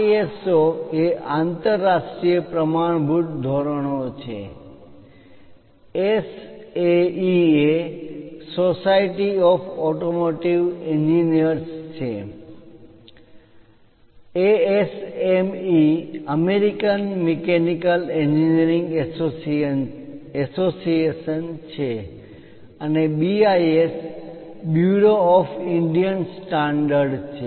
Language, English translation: Gujarati, ISO is International Standards, SAE is Society of Automotive Engineers, ASME is American Mechanical engineering associations and BIS is Bureau of Indian Standards